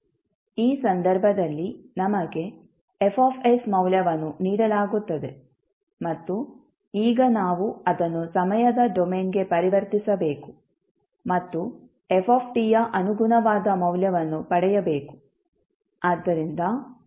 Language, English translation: Kannada, In this case, we are given the value of F s and now we need to transform it back to the time domain and obtain the corresponding value of f t